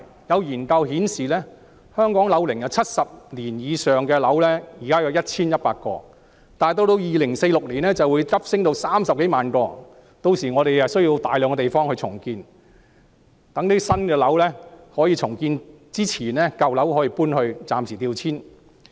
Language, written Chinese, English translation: Cantonese, 有研究顯示，香港樓齡70年以上的樓宇現在有 1,100 幢，到2046年便會急升至30多萬幢，屆時需要大規模重建，需要大量新樓宇供居住在舊樓的人暫時調遷。, Studies have revealed that there are now 1 100 buildings aged over 70 years in Hong Kong and the number of such buildings will surge to some 300 000 in 2046 . Massive redevelopment will be required then which will call for a huge quantity of new buildings to temporarily rehouse residents from old buildings